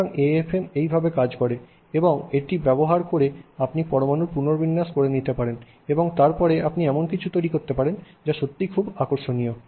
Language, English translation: Bengali, So, this is how the AFM works and using this you could arrange things atom by atom and then you can create something that is interesting